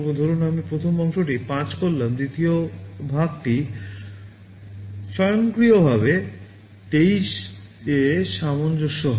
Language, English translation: Bengali, Suppose the first part I make 5 the second part will automatically get adjusted to 23